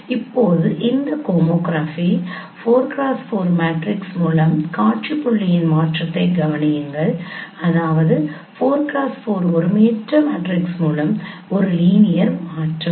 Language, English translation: Tamil, Now consider a transformation of sin point by this homography 4 cross 4 that means by a 4 cross 4 non singular matrix a linear transformation